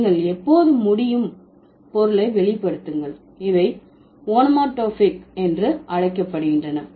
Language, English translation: Tamil, And when you can, when you can reveal the meaning, these are called onomatopic words